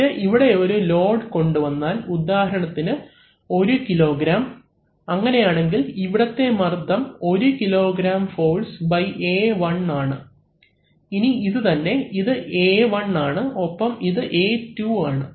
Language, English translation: Malayalam, And if we place a load, so this is let us say 1 kg then the pressure here is basically this one kg force by A1, now the same, this is A1 and this is A2